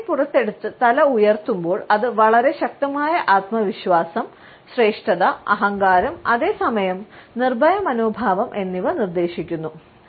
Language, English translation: Malayalam, When the head is lifted high with the chin jetted out then it suggest a very strong self confidence, a feeling of superiority, a sense of arrogance even and at the same time a fearless attitude